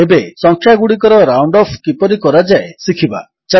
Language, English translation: Odia, Now, lets learn how to round off numbers